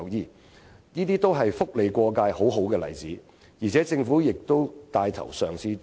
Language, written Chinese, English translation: Cantonese, 凡此種種，均是"福利過界"的好例子，政府更已帶頭嘗試進行。, All these are good examples of cross - boundary entitlement to welfare benefits . The Government has even taken the lead to try out such initiatives